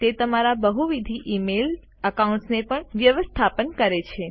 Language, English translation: Gujarati, It also lets you manage multiple email accounts